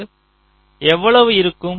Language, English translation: Tamil, so how much will be the ah